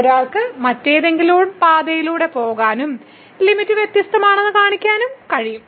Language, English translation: Malayalam, One can also take some other path and can show that the limit is different